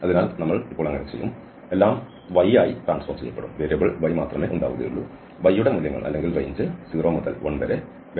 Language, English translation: Malayalam, So we will do so now, everything will be converted into y, the values or the range for y will be 0 to one again the minus sign because we are coming from y is equal to 1 to 0